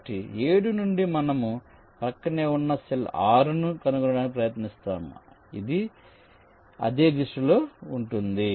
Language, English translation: Telugu, so from seven, we try to find out an adjacent cell, six, which is in same direction